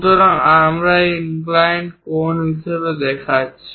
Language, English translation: Bengali, So, we are showing it as inclined angle